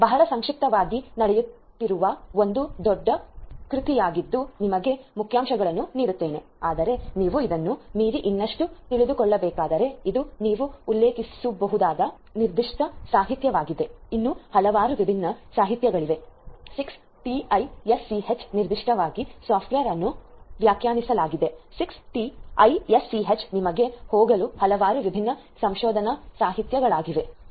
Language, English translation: Kannada, This is a huge work that is going on in a very not cell let me just give you the highlights, but if you need to know more beyond this, this is this particular literature that you can refer to this is not the only one there are so many different other literature talking about 6TiSCH particularly software defined 6TiSCH there are so many different research literature that are available for you to go through